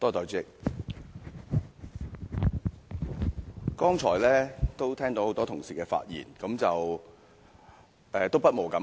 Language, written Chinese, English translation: Cantonese, 代理主席，聽到剛才多位同事的發言，不無感慨。, Deputy President I cannot help feeling upset as I listen to the remarks made by a number of Honourable colleagues earlier